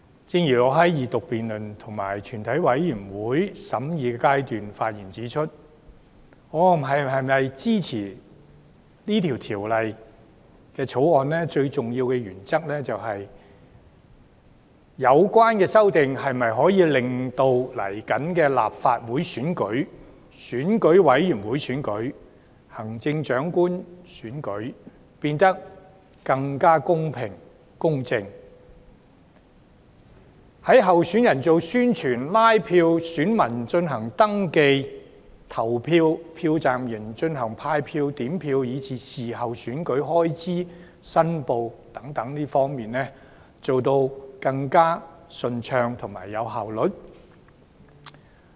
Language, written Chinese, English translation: Cantonese, 正如我在二讀辯論及全體委員會審議階段時發言指出，我是否支持《條例草案》，最重要的原則是有關的修訂能否令隨後的立法會選舉、選舉委員會選舉和行政長官選舉變得更公平公正；以及在候選人進行宣傳和拉票、選民進行登記和投票、票站人員派票和點票，以至候選人事後申報選舉開支等方面，會否更加順暢和有效率。, As I pointed out in my speeches in the Second Reading and committee in deciding whether or not to support the Bill the most important principle is whether the amendment can enhance fairness and impartiality in the coming Legislative Council Election Election Committee Election and Chief Executive Election and also whether in respect of publicity and canvassing activities of candidates registration and voting by voters distribution and counting of votes by polling staff and even candidates declaration of election expenses after the election the amendments will enable the process to be conducted more smoothly and efficiently